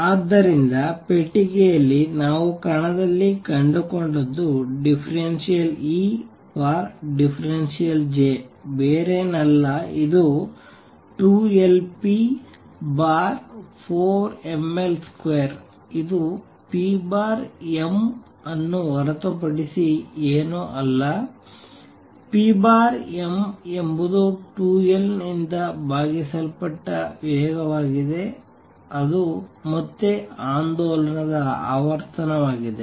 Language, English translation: Kannada, So, what we have found in particle in a box d E d J is nothing but 2L p over 4 m L square which is nothing but p over m, p over m is the velocity divided by 2L which is again the frequency of oscillation nu